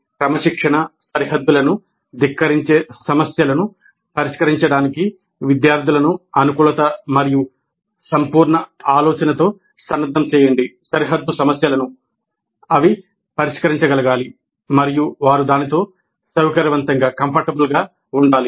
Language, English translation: Telugu, So equip the students with the adaptability and holistic thinking to tackle issues which defy disciplinary boundaries